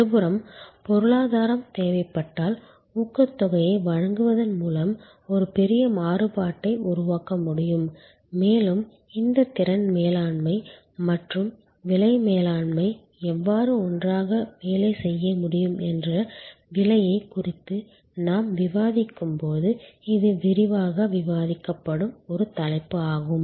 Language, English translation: Tamil, On the other hand, in case of the economy demand a huge variation can be created by providing incentives and this is a topic which we will discuss in greater detail when we discuss a pricing that how these capacity management and price management can work together